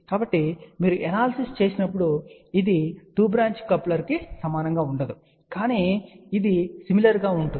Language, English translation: Telugu, So, when you do the analysis, it will not be same as for 2 branch coupler, but it will be similar